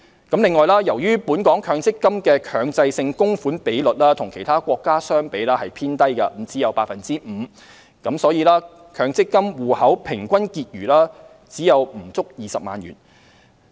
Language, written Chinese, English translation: Cantonese, 此外，由於本港強積金的強制性供款比率與其他國家相比偏低，只有 5%， 因此強積金戶口平均結餘只有不足20萬元。, Moreover when comparing with other countries Hong Kongs MPF mandatory contribution rate is relatively low at only 5 % so the average balance of MPF accounts is less than 200,000